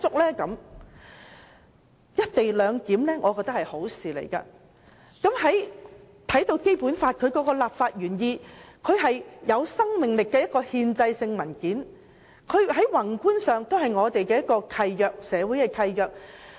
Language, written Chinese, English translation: Cantonese, 我認為"一地兩檢"是一件好事，而觀乎《基本法》的立法原意，它是一份有生命力的憲制文件，在宏觀上亦屬社會契約。, I consider the co - location arrangement a good thing and judging from the legislative intent of the Basic Law it is a living constitutional instrument which is also a social contract in the macro perspective